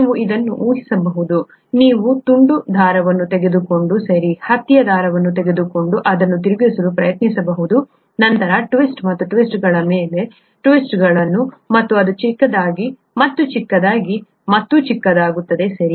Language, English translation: Kannada, You can imagine this, you can take a piece string, okay, cotton string and try twisting it, then twists and twists and twists and twists and it becomes smaller and smaller and smaller, okay